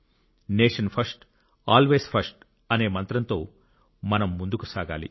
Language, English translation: Telugu, We have to move forward with the mantra 'Nation First, Always First'